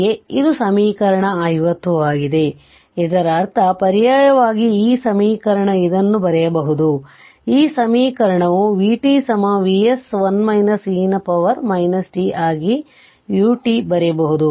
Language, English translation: Kannada, So, that means alternatingly this equation you can write this, this equation other way that it is v t is equal to V s 1 minus e to the power minus t into U t